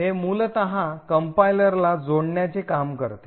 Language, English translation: Marathi, This function is something which the compiler adds in